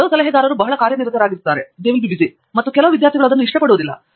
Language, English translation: Kannada, Some advisors are extremely busy and some students don’t like that